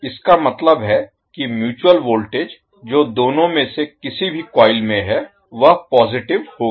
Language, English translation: Hindi, That means the mutual voltage which induced is in either of the coil will be positive